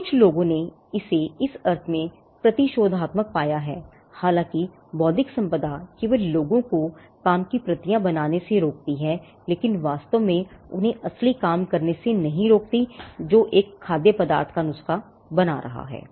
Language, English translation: Hindi, So, some people have found this to be counterintuitive in the sense that though intellectual property only stops people from making copies of the work, it does not actually stop them from doing the real work which is making the recipe of a food item